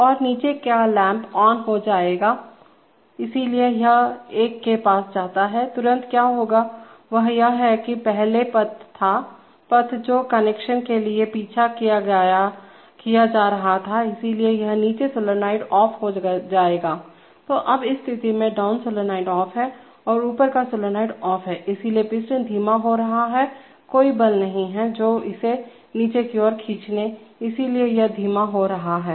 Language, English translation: Hindi, And the down lamp will go on, so this goes to one, immediately what will happen is that, is that, this, previously the path was, path that was being followed for connection was this, so this down solenoid will become off, so now at this position the down solenoid is off and the up solenoid is off, so the piston is slowing down there is, there is no force forcing it down, so it is slowing down